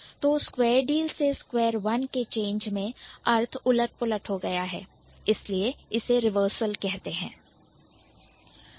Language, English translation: Hindi, So, from square deal to square one, there has been a reversal in the meaning